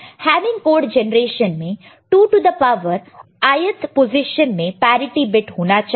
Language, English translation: Hindi, And in Hamming code generation: 2 to the power ith position we need to have parity